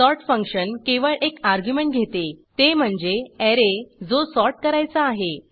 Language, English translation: Marathi, sort function takes a single argument , which is the Array that needs to be sorted